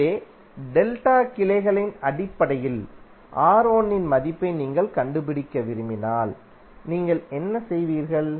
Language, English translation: Tamil, So if you want to find out the value of R1 in terms of delta branches, what you will do